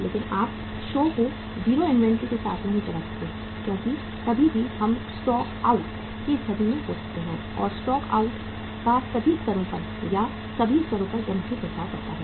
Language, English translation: Hindi, But you cannot run the show with the 0 inventory because anytime we can be in the situation of the stockouts and stockouts has a very very serious impact upon all levels or at all levels